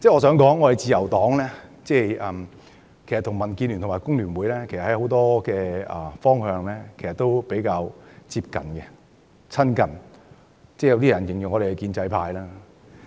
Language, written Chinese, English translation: Cantonese, 事實上，自由黨與民建聯和工聯會在很多方面的想法都比較接近，有些人形容我們為建制派。, In fact the Liberal Party does share similar views with DAB and FTU in many respects and some people have described us as the pro - establishment camp